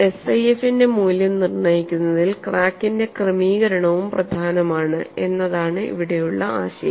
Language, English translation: Malayalam, From the above discussion it is clear that the configuration of the crack is also important in deciding the value of SIF